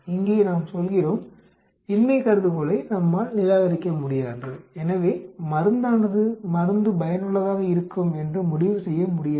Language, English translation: Tamil, Here we say, we cannot reject the null hypothesis so cannot conclude that drug, drug is effective